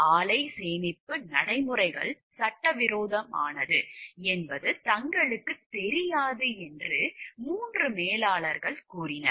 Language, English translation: Tamil, The 3 managers claimed that they were not aware of the plant storage practices were illegal